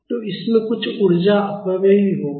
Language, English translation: Hindi, So, that will also cause some energy dissipation